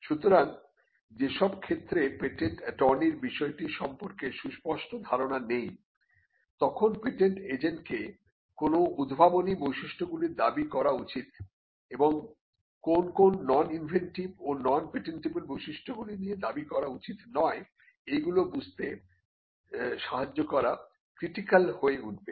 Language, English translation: Bengali, So, in cases where the patent attorney does not have a fair understanding of the field, then this will be critical in helping the patent agent to determine what should be the inventive features that are claimed, and what are the non inventive or non patentable features that should not figure in the claim